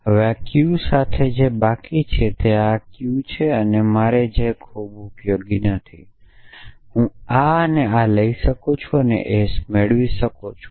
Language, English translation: Gujarati, So, what I am left with this Q then is that correct this Q is not very useful for me I can take this and this and I can get S